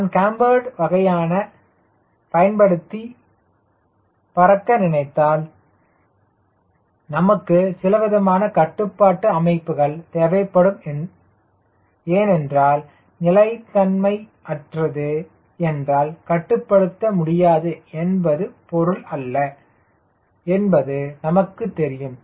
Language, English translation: Tamil, also, if i want to fly a cambered type of this, then of course you need to use some sort of a control system, because i understand that unstable doesnt mean uncontrollable, right